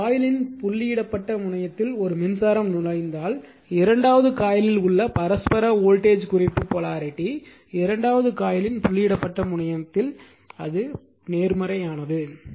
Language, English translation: Tamil, If a current enters the dotted terminal of one coil , the reference polarity of the mutual voltage right in the second coil is positive at the dotted terminal of the second coil